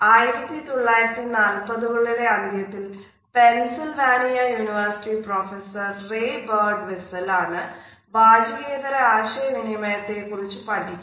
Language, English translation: Malayalam, We find that it was in the 1940s rather late 1940s that at the university of Pennsylvania professor Ray Birdwhistell is started looking at the nonverbal aspects of communication